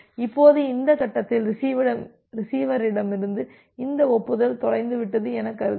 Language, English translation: Tamil, Now, at this point say assume this acknowledgement from receiver gets lost